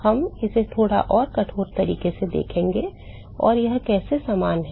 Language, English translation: Hindi, We are going to see that in little bit more rigorous way as to how it is similar